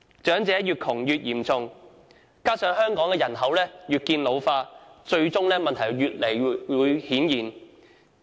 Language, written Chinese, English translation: Cantonese, 長者貧窮問題越來越嚴重，加上香港人口越見老化，最終問題會越來越顯現。, The problem of elderly poverty is becoming more serious . With the continual ageing of the population of Hong Kong this problem will become more palpable